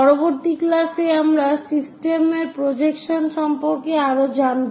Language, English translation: Bengali, In the next class, we will learn more about projections of the system